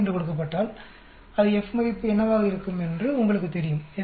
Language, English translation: Tamil, 05, it will tell you what will be the F value